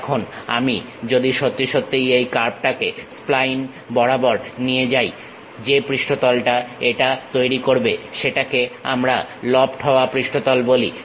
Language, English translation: Bengali, Now, if I really move this curve along that spine curve, whatever the surface it makes that is what we call lofted surface also